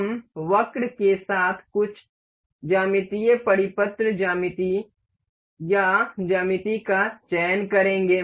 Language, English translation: Hindi, We will select some geometrical circular geometry or geometry with curved